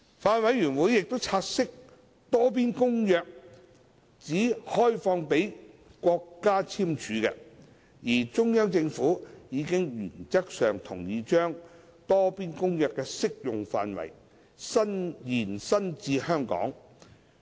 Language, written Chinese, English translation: Cantonese, 法案委員會察悉，《多邊公約》只開放予國家簽署，而中央政府已原則上同意把《多邊公約》的適用範圍延伸至香港。, The Bills Committee has noted that the Multilateral Convention is only open for signature by state parties and the Central Peoples Government CPG has given in - principle agreement to extend the application of the Multilateral Convention to Hong Kong